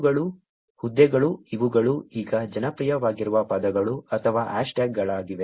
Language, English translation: Kannada, These are the posts; these are the words or the hashtags that are popular as of now